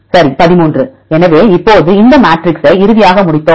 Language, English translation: Tamil, Right, 13; so now, we finally completed this matrix right